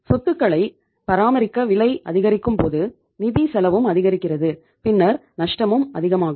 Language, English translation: Tamil, When the cost of maintaining those assets increases and funds are say the financial cost is also very high so the loses will increase